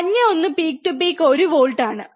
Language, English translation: Malayalam, And yellow one is peak to peak is 1 volt